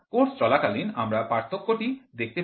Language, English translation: Bengali, We will see the difference while the course is going on